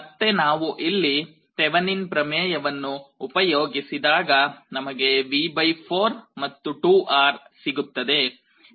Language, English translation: Kannada, We apply Thevenin’s theorem here again, you get this V / 4 and 2R